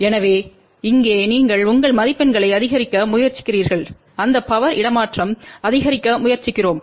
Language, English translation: Tamil, So, there you try to maximize your marks here we try to maximize that power transfer